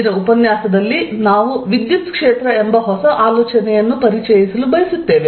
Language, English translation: Kannada, In today's lecture, we want to introduce a new idea called the electric field